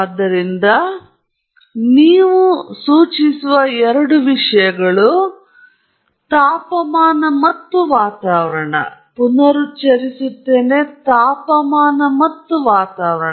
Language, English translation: Kannada, So, those are two things you will specify: the temperature and the atmosphere